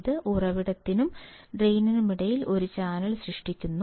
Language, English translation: Malayalam, This forms a channel between source and drain